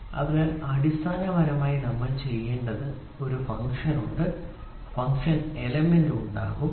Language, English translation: Malayalam, So, basically what are we supposed to do is there is a function, function element will be there, right